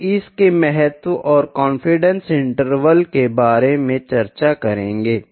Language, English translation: Hindi, We will discuss about significance and confidence intervals